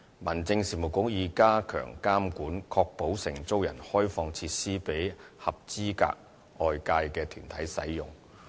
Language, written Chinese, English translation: Cantonese, 民政事務局已加強監管，確保承租人開放設施予合資格外界團體使用。, Meanwhile the Home Affairs Bureau has stepped up regulations to ensure the lessees do open up those facilities for use by eligible outside bodies